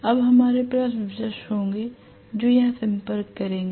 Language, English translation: Hindi, Now, we will have brushes which will make contact here